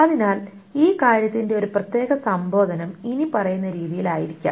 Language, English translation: Malayalam, So a particular invocation of this thing may be in the following manner